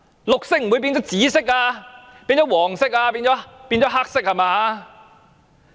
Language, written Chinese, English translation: Cantonese, 綠色不會變成紫色、不會變成黃色、不會變成黑色吧！, What is green will not become purple yellow or black will it?